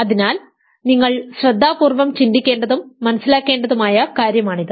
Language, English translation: Malayalam, So, this is something that you have to carefully think about and understand